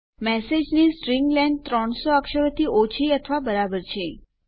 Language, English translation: Gujarati, And the string length of message is lesser or equal to 300 characters